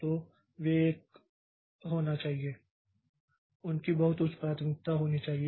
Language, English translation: Hindi, So, they should be a they should have very high priority